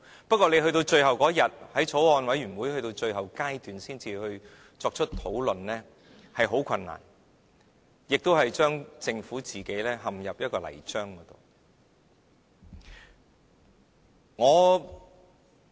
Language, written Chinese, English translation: Cantonese, 不過，到了最後一天，才在法案委員會最後階段討論，是很困難的，亦將政府陷入泥漿中。, However the Government only brought up the issue at the final stage of the Bills Committees discussions . That has made things difficult and will throw the Government into a quagmire . Unfortunately the Bill is just a tip of the iceberg